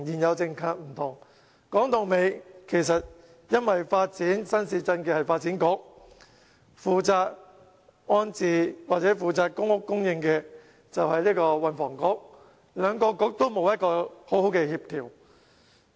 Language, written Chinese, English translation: Cantonese, 說到底，因為發展新市鎮的是發展局，負責安置或公屋供應的是運輸及房屋局，兩個局沒有好好協調。, After all it is because new towns development comes under the purview of the Development Bureau while rehousing or provision of public housing falls into the purview of the Transport and Housing Bureau while the two bureaux have not maintained proper coordination